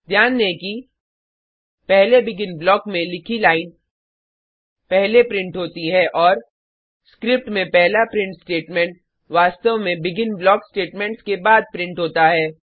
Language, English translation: Hindi, Notice that The line written inside the first BEGIN block gets printed first and The first print statement in the script actually gets printed after the BEGIN block statements